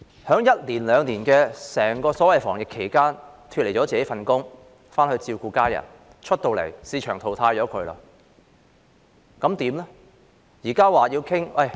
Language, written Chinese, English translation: Cantonese, 在一兩年的整個所謂防疫期間，他們脫離了自己的工作，回去照顧家人，出來後已被市場淘汰，怎麼辦呢？, During the so - called anti - epidemic period of one year or two these carers quitted their jobs to take care of their family members and were subsequently eliminated by the market . What can they do then?